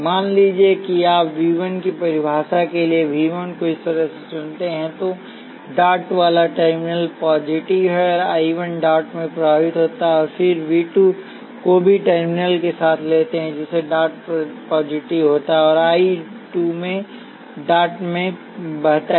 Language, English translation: Hindi, Let say you choose V 1 this way for the definition of V 1 the terminal with dot is positive and I 1 flows in to the dot then you take V 2 also with the terminal with dot being positive, and I 2 flowing into the dot